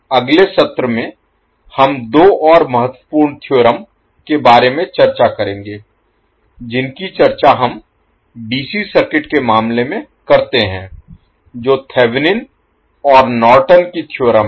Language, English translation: Hindi, In next session, we will discuss about two more important theorems which we discuss in case of DC circuit that are your Thevenin's and Norton’s theorem